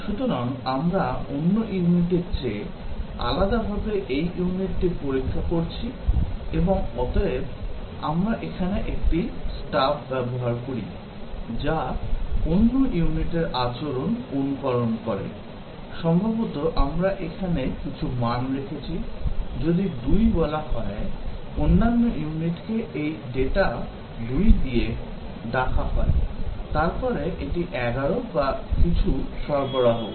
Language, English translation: Bengali, So, we are testing this unit, independent of the other unit and therefore, we use a stub here, which simulates the behavior of the other unit, possibly we have just stored some values here, that, if 2 is called, this other unit is called with the data 2, then it returns the data 11 or something